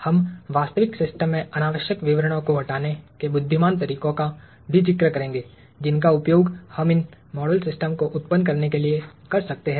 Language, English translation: Hindi, We will also touch upon intelligent ways of discarding unnecessary details in the real system that we can use to generate these model systems